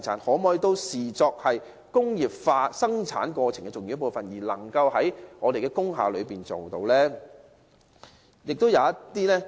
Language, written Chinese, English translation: Cantonese, 當局可否也視作工業化生產過程的重要部分，讓這些行業能夠在工廈經營？, Can the authorities treat them as important parts of industrial production and allow these industries to operate in industrial buildings?